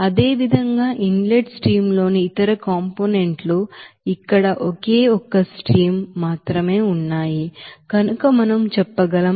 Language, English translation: Telugu, Now similarly, we can say that other components in the inlet stream since here only one stream is here